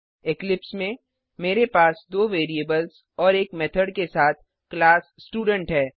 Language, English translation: Hindi, In eclipse, I have a class Student with two variables and a method